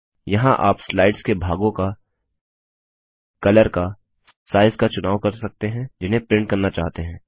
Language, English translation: Hindi, Here you can choose the parts of the slide that you want to print, the print colours and the size